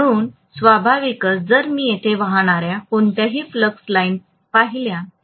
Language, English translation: Marathi, So naturally if I look at any flux lines that are probably going to flow here, right